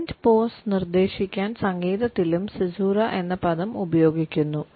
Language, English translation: Malayalam, The word caesura is also used in music to suggest a silent pause